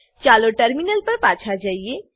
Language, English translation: Gujarati, Lets switch to the terminal